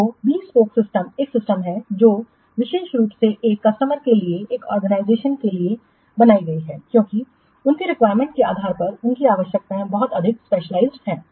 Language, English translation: Hindi, So, a bespoke system is a system which is created specially for one customer for one organization because depending upon their requirements, their requirements are very much specialized